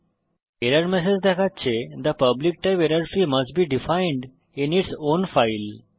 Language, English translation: Bengali, And error message reads The public type errorfree must be defined in its own file